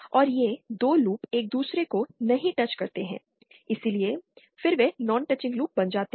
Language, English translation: Hindi, And these 2 loops do not touch each other, so then they become non teaching loops